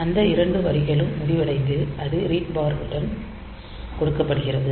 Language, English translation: Tamil, So, those two lines are ended and it is given to the read bar line